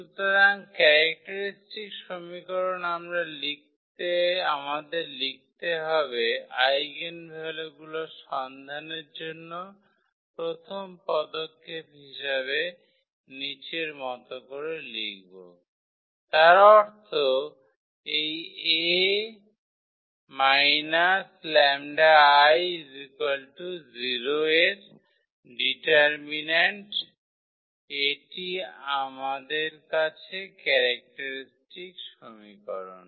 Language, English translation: Bengali, So, the characteristic equation we have to write down as a first step to find the eigenvalues; that means, the determinant of this A minus lambda I is equal to 0 that is the characteristic equation we have